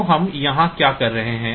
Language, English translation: Hindi, So, what are we doing here